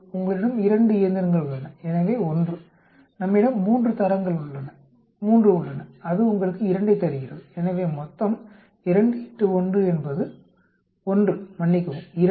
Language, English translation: Tamil, You have 2 machines so 1, we have 3 grades 3 that gives you 2, so totally 2 into 1 is 1 sorry, 2